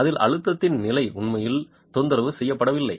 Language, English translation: Tamil, The state of stress in it is actually not disturbed